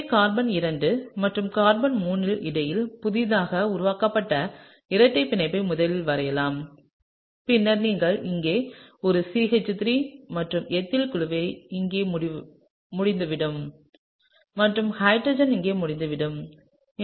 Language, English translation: Tamil, So, let me draw the newly formed double bond between carbon 2 and carbon 3 first, right and then you have a CH3 over here and the ethyl group is over here and hydrogen is over here, okay